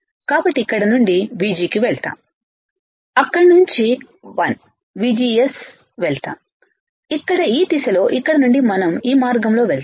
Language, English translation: Telugu, So, we go from here right VG from here VG right then we go here this 1 minus VGS then we go here, here in this direction all right from here we go this way